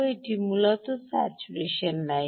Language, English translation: Bengali, i will show the saturation line